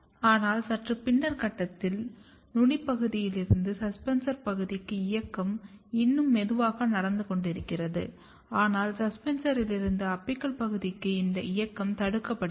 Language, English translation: Tamil, But at slightly later stage the, the movement from apical region to the suspensor region is still happening little bit, but this movement from suspensor to the apical region is inhibited or restricted